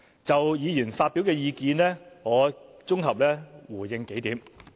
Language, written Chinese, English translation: Cantonese, 就議員發表的意見，我綜合回應數項。, I will give a consolidated response on a number of points made by Members